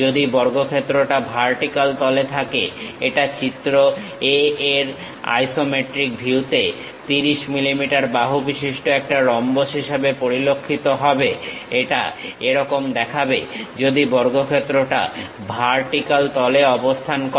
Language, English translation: Bengali, If the square lies in the vertical plane, it will appear as a rhombus with 30 mm side in the isometric view in figure a; it looks likes this, if this square is lying on the vertical plane